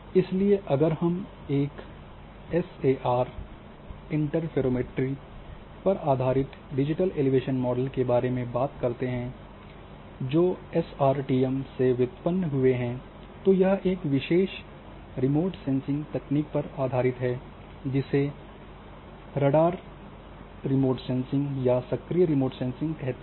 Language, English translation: Hindi, So, because if we talk say about the SAR interferometry based digital elevation model which been derived from this SRTM then this is based on one particular remote sensing technique which is a radar remote sensing or active remote sensing